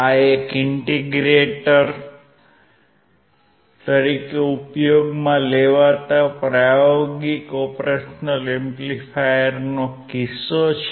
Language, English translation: Gujarati, This is the case of a practical operational amplifier used as an integrator